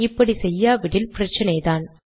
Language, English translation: Tamil, If you dont do that, there will be a problem